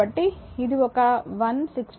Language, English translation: Telugu, So, it is one 166